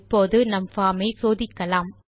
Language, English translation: Tamil, Now, let us test our form